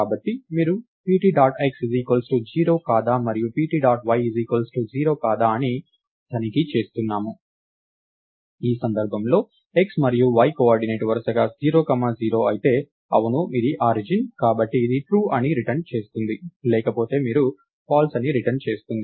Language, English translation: Telugu, So, you are checking if pt dot x is 0 and pt dot y is 0, in which case the x and y coordinate are 0 comma 0 respectively, yes it is the origin, I return true else you return false